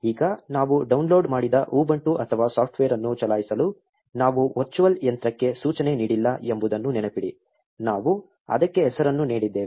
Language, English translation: Kannada, Now, remember we have not instructed the virtual machine to run the ubuntu or software that we just downloaded, we have just given it the name